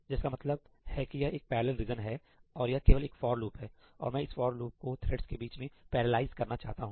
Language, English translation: Hindi, That says that this is the parallel region, which is the following statement, and it is nothing but a for loop, right; and I want to parallelize this for loop amongst the threads